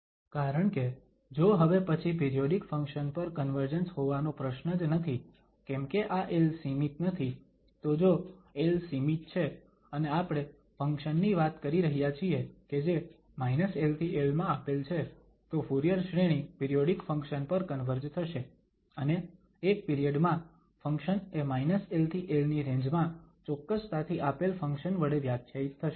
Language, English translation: Gujarati, Because, then there is no question of the convergence to a periodic function because this l is no more finite, so if l is finite and we are talking about the function which is given in minus l to l, then the Fourier series will converge to a periodic function and in one period, the function will be defined exactly the given function in the range minus l to l